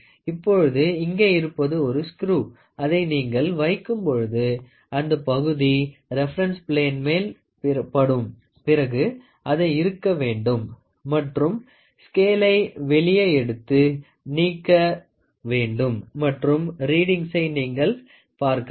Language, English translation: Tamil, So, here if you see here there is a screw which when you put it, when this part hits against the reference plane then you tighten it and then remove the scale out and see what is the readings